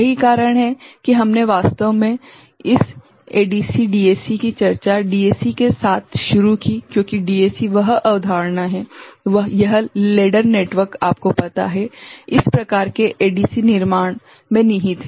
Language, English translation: Hindi, That is why we actually started discussion of this ADC DAC with DAC because DAC is that concept, this ladder network is you know, inherent in this type of ADC construction right